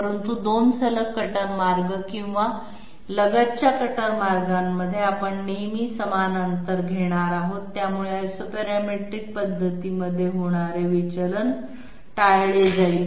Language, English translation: Marathi, But in between 2 successive cutter paths or adjacent cutter paths we are always going to have the same distance, so that divergence which was occurring in Isoparametric method is going to be avoided